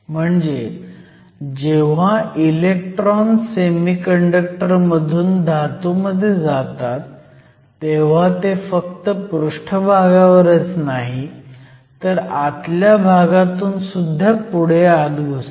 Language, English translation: Marathi, This means, when the electrons move from the semiconductor to the metal they not only move from the surface, but they also penetrate at distance within the bulk of the semiconductor